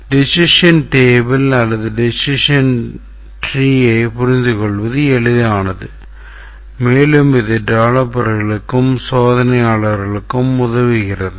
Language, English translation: Tamil, It is easier to understand a decision tree or a decision table and also it helps the developers and the testers